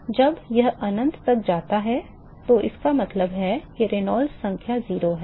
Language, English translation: Hindi, So, when this tends to infinity means that the Reynolds number is 0 and